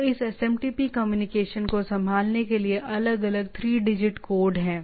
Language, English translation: Hindi, So, there are different 3 digits code to handle that this SMTP communication